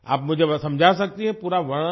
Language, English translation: Hindi, Can you explain to me with complete description